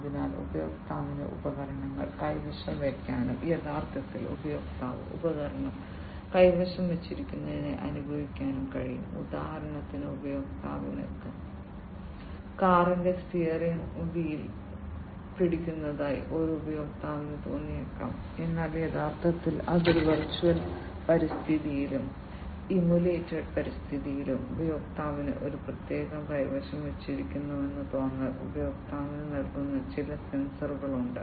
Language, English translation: Malayalam, So, user can hold devices and feel that actually the user is holding the device; for example, a user might feel that the user is holding the steering wheel of a car, but the actually its a virtual environment and in immulated environment, there are certain sensors which will give the feeling to the user that the user is holding a particular steering wheel of the car, but actually the user is not feeling